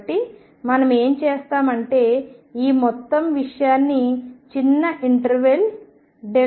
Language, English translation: Telugu, So, what we will do is we will divide this whole thing into small e of interval delta x